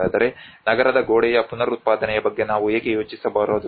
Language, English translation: Kannada, So why not we can think of reproducing of the city wall